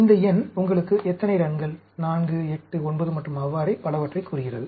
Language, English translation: Tamil, This number tells you how many runs, 4, 8, 9 and so on